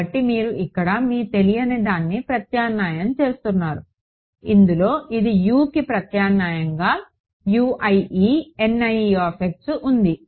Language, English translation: Telugu, So, you are substituting this your unknown over here which consists of U i e N i e x this is what is being substituted for U